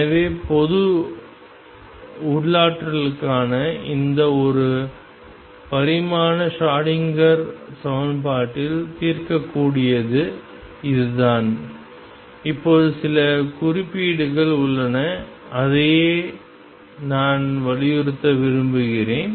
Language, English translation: Tamil, So, this is pretty much what solve in this one dimensional Schrodinger equation for general potentials is now there are some certain points and that is what I want to emphasize